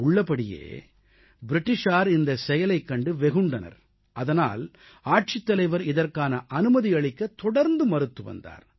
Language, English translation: Tamil, The British were naturally not happy with this and the collector continually kept denying permission